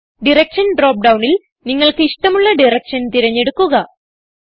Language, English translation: Malayalam, Select Direction drop down and select a direction of your choice